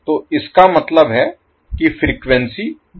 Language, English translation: Hindi, So it means that your frequency is 0